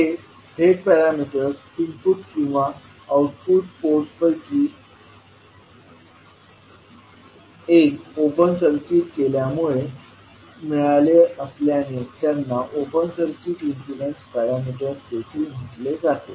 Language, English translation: Marathi, Since these Z parameters are obtained by open circuiting either input or output ports, they are also called as open circuit impedance parameters